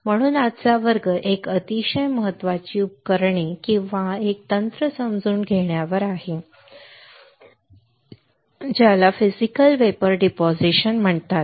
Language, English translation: Marathi, So, today's class is on understanding a very important equipment or a technique which is called Physical Vapour Deposition